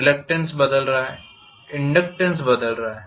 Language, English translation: Hindi, The reluctance is changing, the inductance is changing